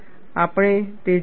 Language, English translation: Gujarati, We will see that